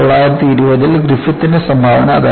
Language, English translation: Malayalam, That was a contribution by Griffith in 1920